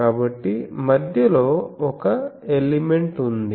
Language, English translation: Telugu, So, there is one element at the center